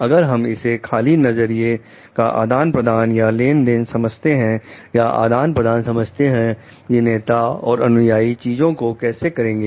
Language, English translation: Hindi, If we take it as an exchange of views, exchange of like how to do things between a follower and the leader